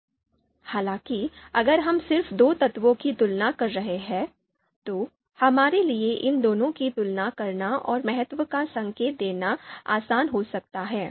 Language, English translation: Hindi, However, if we are just comparing you know just two elements, then it might be easier for us to you know you know compare these two and indicate the importance